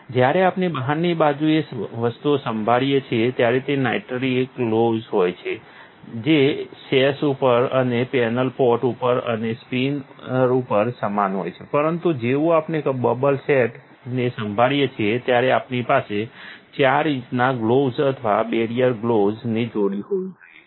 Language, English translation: Gujarati, When we handle things on the outside, it is nitrile gloves, the same on the sash and on the panel pot and on the spinners, but as soon as we handle the bubble set itself we need to have 4 inch gloves or pair barrier gloves